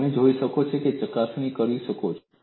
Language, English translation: Gujarati, This you can go and verify